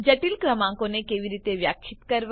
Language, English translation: Gujarati, How to define complex numbers